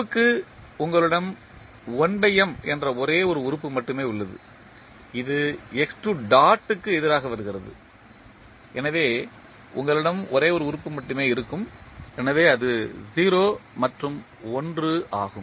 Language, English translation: Tamil, For f you have only one element that is 1 by M which is coming against x 2 dot, so you will have only one element in that, so that is 0 and 1